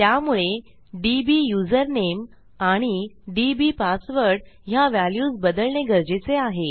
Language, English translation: Marathi, So we need to change this dbusername value and our dbpassword